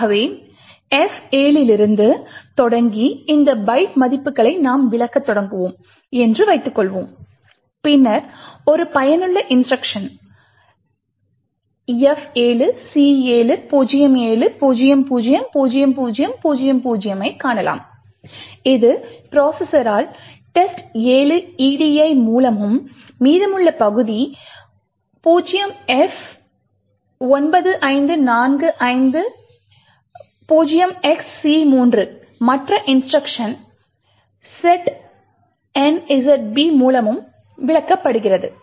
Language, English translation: Tamil, So for example suppose we start interpreting these byte values starting from F7 then we can find a useful instruction F7, C7, 07, 00, 00, 00 which gets interpreted by the processor as test 7 edi, the remaining part 0f, 95, 45, c3 gets interpreted by to an other instruction setnzb